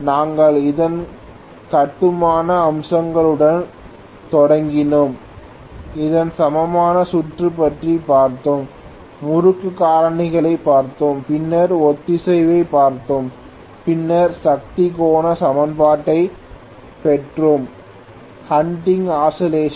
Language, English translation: Tamil, we had started off with its constructional features, we had looked at its equivalent circuit, we had looked at winding factors and so on then we had looked at synchronization, then we had derived the power angle equation, hunting oscillation